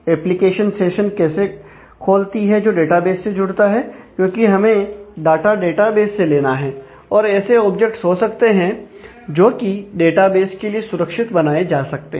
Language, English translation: Hindi, Application opens a session, which connects to the database because, we need to get the data from the database, they can be objects that can be created safe to the database